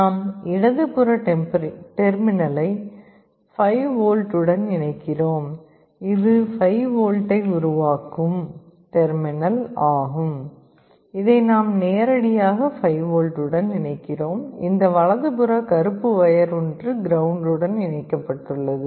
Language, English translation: Tamil, The leftmost terminal we are connecting to 5V, this is the terminal which is generating 5V we are connecting it directly to 5V, the rightmost wire this black one is connected to ground